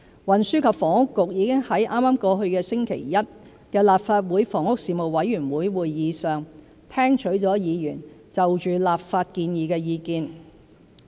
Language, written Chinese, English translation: Cantonese, 運輸及房屋局已在剛過去星期一的立法會房屋事務委員會會議上，聽取了議員對立法建議的意見。, The Transport and Housing Bureau gauged the views of Members on the legislative proposal at the meeting of the Legislative Council Panel on Housing this Monday 1 February